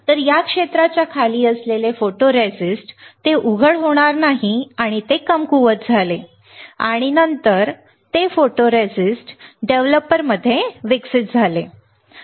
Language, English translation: Marathi, So, photoresist which is below this area, it will not be exposed and it got weaker and then it got developed in the photoresist developer, correct